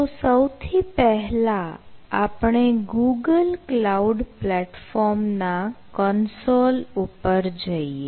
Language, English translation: Gujarati, so first we will go to the google cloud platform console